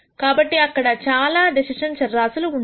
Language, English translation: Telugu, So, there are several decision variables